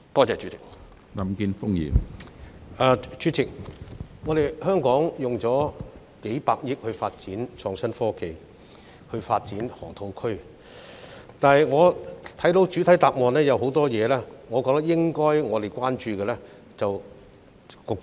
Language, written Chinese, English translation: Cantonese, 主席，香港動用了數百億元發展河套地區的創科園，但局長未有在主體答覆中回應我的多個關注事項。, President while Hong Kong spent tens of billions of dollars on the development of HSITP at the Loop the Secretary has failed to respond to my concerns in the main reply